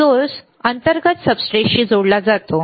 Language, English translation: Marathi, Source is internally connected to the substrate